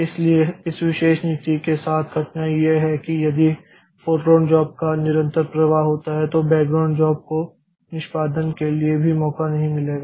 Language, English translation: Hindi, So, the difficulty with this particular policy is that if there is a continuous flow of foreground jobs then the background jobs will never get a chance for execution